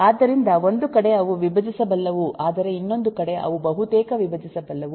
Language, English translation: Kannada, so on one side they are decomposable but other side they are nearly decomposable